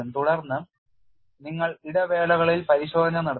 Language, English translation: Malayalam, Then you do the inspection intervals